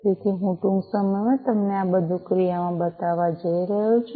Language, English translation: Gujarati, So, I am going to show you all of these in action, shortly